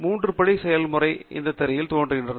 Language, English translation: Tamil, The three step process is illustrated in this screen shot